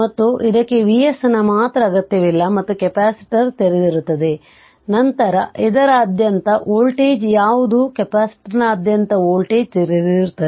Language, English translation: Kannada, And capacitor is open, then what is the voltage across this what is the voltage across capacitor is open